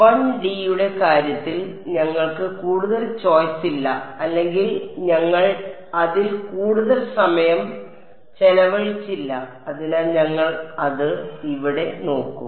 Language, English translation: Malayalam, We did not have much of a choice in the case of 1D or we did not spend too much time on it but so, we will have a look at it over here